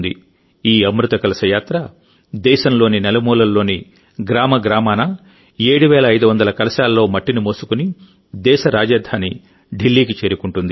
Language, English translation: Telugu, This 'Amrit Kalash Yatra' carrying soil in 7500 urns from every corner of the country will reach Delhi, the capital of the country